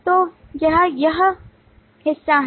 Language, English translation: Hindi, So that is this part